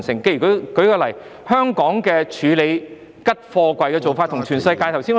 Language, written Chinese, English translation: Cantonese, 舉例來說，香港處理空貨櫃的做法與全世界不同......, For example the way in which empty containers are handled in Hong Kong is different from that in the rest of the world